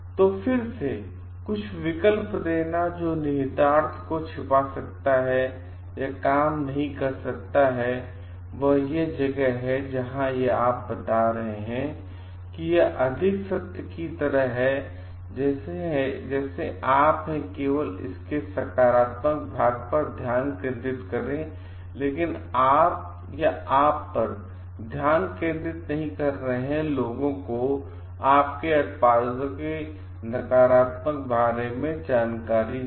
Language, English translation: Hindi, So, again giving certain alternatives which may or may not work, hiding the implication that is where you are telling like it is more goes like with the half truth like you are may be focusing only on the like positive part of it, but you are not focusing on the or you are not letting people know about the negative part of your products